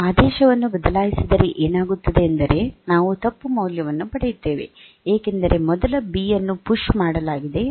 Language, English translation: Kannada, If you change the order, then what will happen is that we will get a wrong value, because first B has been pushed